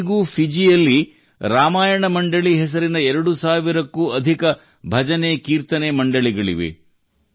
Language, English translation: Kannada, Even today there are more than two thousand BhajanKirtan Mandalis in Fiji by the name of Ramayana Mandali